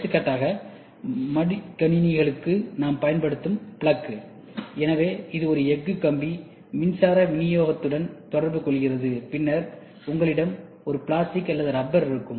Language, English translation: Tamil, For example, the plug what we use for laptops; so if you see that there is a steel rod, which comes in contact with the electrical supply, and then you will have a plastic or a rubber which is which is covered